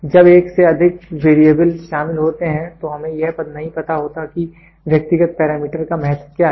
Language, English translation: Hindi, When more than one variable is involved then we do not know exactly what is the weightage of individual parameters